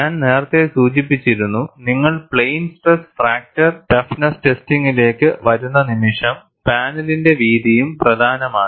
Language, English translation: Malayalam, And I had already mentioned, the moment you come to plain stress fracture toughness testing, the width of the panel also matters